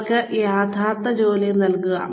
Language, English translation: Malayalam, Give them actual tasks